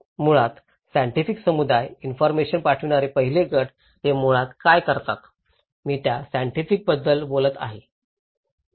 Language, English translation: Marathi, Now, the scientific community basically, the first group the senders of the informations what do they do basically, I am talking about the scientist